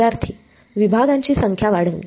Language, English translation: Marathi, Increase the number of segments